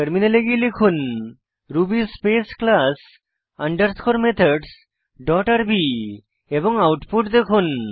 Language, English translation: Bengali, Switch to the terminal and type ruby space class underscore methods dot rb and see the output